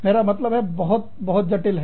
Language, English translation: Hindi, I mean, it is very, very, very complex